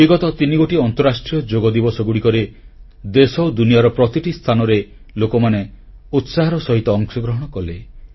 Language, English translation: Odia, On the previous three International Yoga Days, people in our country and people all over the world participated with great zeal and enthusiasm